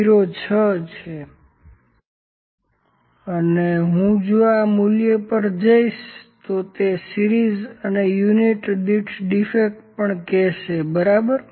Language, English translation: Gujarati, 06 and if I go to this value it is the series is defects per unit and the reading number it also say, ok